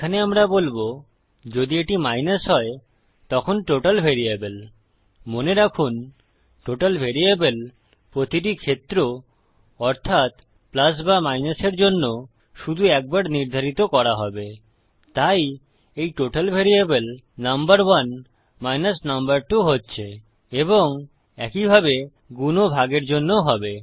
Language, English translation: Bengali, Here we will say if its a minus, then the variable total okay remember, the variable total will only be set once for each case either plus or minus so this total variable going to be number 1 number 2 and the same for multiply and divide as well